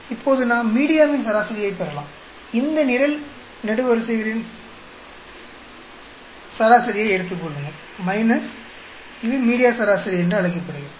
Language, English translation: Tamil, Now, we can get a media average; just take the average of all these columns that is called the media average